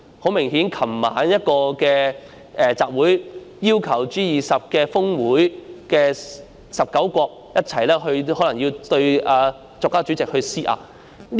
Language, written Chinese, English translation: Cantonese, 很明顯，在昨晚一個集會上，有示威者要求 G20 峰會19個國家一起對國家主席施壓。, Obviously in a public meeting last night some protesters requested the 19 countries at the G20 Osaka Summit to exert pressure together on the President of China